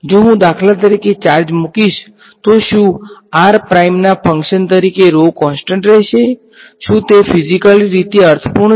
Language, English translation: Gujarati, If I put will the charges for example, will the rho be constant as a function of r prime, is that physically meaningful